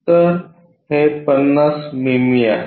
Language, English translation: Marathi, So, that is 50 mm if this one is 50 mm